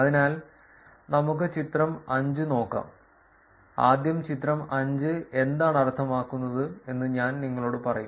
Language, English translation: Malayalam, So, let us look at the figure 5, first and I will tell you what the figure 5 all means